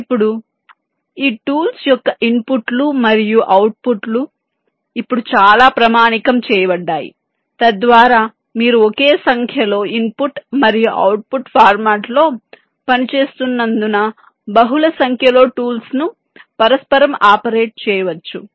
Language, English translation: Telugu, now, one thing, ah, the inputs and the outputs of this tools are now fairly standardized so that you can you can say, inter operate multiple number of tools because they work on the same input and output formats